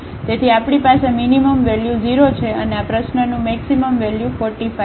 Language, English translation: Gujarati, So, we have the minimum value 0 and the maximum value of this problem is 35